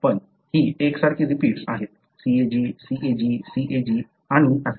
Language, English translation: Marathi, But, these are continuous repeats;CAG, CAG, CAG and so on